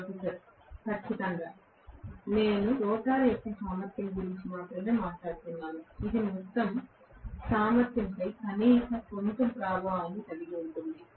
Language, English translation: Telugu, Professor: Absolutely, I am talking only about the efficiency of the rotor which will have at least some amount of repercussion on the overall efficiency